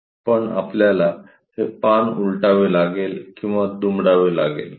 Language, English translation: Marathi, But we have to flip or fold this page